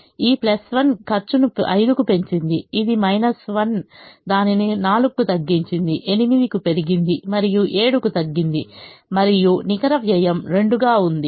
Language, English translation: Telugu, this minus has reduced it by four, increase by eight and reduce by seven and the net cost is two